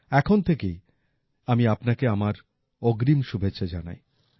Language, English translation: Bengali, I wish you all the best in advance from now itself